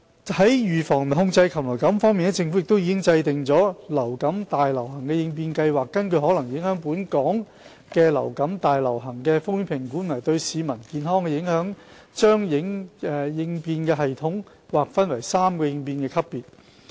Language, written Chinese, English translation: Cantonese, 在預防及控制禽流感方面，政府已制訂《流感大流行應變計劃》，根據可能影響本港的流感大流行的風險評估和對市民健康的影響，把應變系統劃分為3個應變級別。, With regard to the prevention and control of avian influenza the Government has put in place the Preparedness Plan for Influenza Pandemic the Plan which adopts a three - tiered response level system based on the risk assessment of influenza pandemic that may affect Hong Kong and its health impact on the community